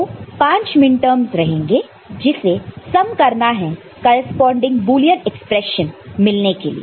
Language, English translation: Hindi, So, 5 minterms will be there which will be summed to get the corresponding Boolean expression right